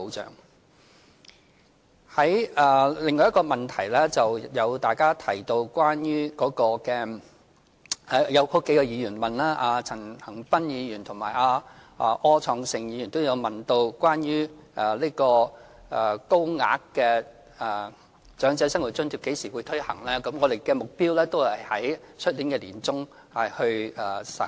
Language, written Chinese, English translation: Cantonese, 就着另外一個問題，即數位議員，包括陳恒鑌議員和柯創盛議員問及有關高額長者生活津貼何時會推行的問題，我們的目標是在明年年中實行。, As regards another issue raised by several Members including Mr CHAN Han - pan and Mr Wilson OR about when the Higher Old Age Living Allowance will be launched our target is the middle of next year